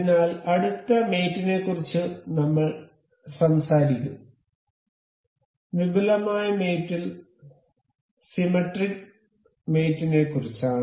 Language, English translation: Malayalam, So, the next mate, we will talk about is in advanced mate is symmetric mate